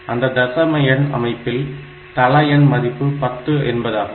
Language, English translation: Tamil, So, this is the decimal number system